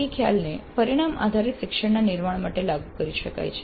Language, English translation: Gujarati, The ADE concept can be applied for constructing outcome based learning